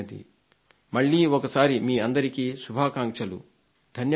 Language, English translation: Telugu, Once again, many congratulations to all of you